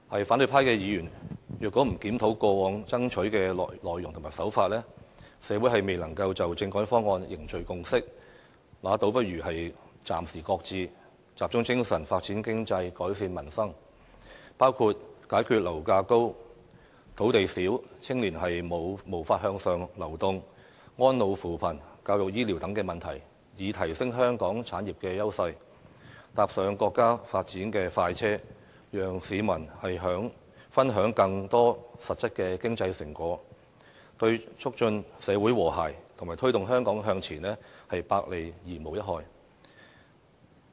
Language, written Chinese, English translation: Cantonese, 反對派議員若不檢討過往爭取的內容和手法，社會未能就政改方案凝聚共識，倒不如暫時擱置，集中精神，發展經濟，改善民生，包括解決樓價高、土地少、青年無法向上流動、安老扶貧、教育醫療等問題，以提升香港產業優勢，搭上國家發展的快車，讓市民分享更多實質的經濟成果，對促進社會和諧及推動香港向前，百利而無一害。, If Members from the opposition camp are not going to review the substance and technique they have been adhering to in the past and if there is no social consensus on the constitutional reform is forged then it would be more desirable to shelve it and concentrate our efforts on issues concerning economic development and improvement of the peoples livelihood including to find a solution for the high property prices insufficient land supply the lack of opportunities for upward mobility for young people elderly care and poverty alleviation education and health care . In so doing we can enhance the edge of Hong Kongs industries and jump on Chinas bandwagon of rapid development so that Hong Kong people can enjoy more concrete fruits of economic prosperity which is all - gain - and - no - loss to the promotion of social harmony and the forward development of Hong Kong